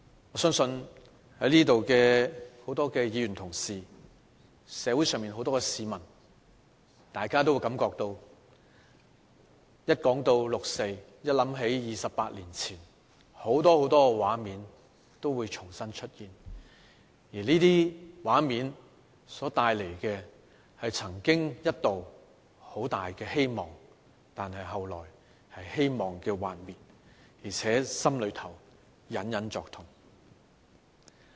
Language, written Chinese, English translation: Cantonese, 我相信在座的多位議員同事和社會上很多市民，當大家一談起六四，一想到28年前，很多很多畫面都會重新浮現，而這些畫面所帶來的是曾經一度很大的希望，但後來是希望的幻滅，而且心裏隱隱作痛。, To many Members in this Chamber and many members of the community I believe when they talk about the 4 June incident or when their memory flashes back to 28 years ago many many scenes will once again spring to their mind . These scenes once brought forth a great hope but then it was dashed leaving a wound in us that still hurts even now